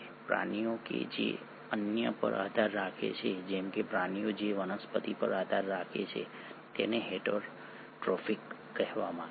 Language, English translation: Gujarati, Organisms which depend on others, like animals which depend on plants, are called as heterotrophic